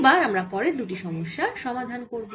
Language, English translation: Bengali, now we'll solve the next two problems